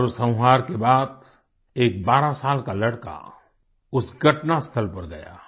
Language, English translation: Hindi, Post the massacre, a 12 year old boy visited the spot